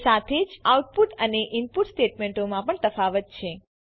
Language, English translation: Gujarati, Also there is a difference in output and input statements